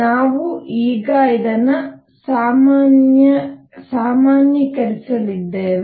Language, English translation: Kannada, We are going to now generalized this